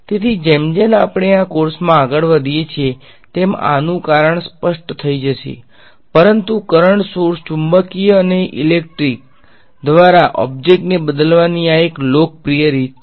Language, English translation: Gujarati, So, the reason for this will become sort of clear as we go along in this course, but this is a popular way of replacing an object by current sources magnetic and electric ok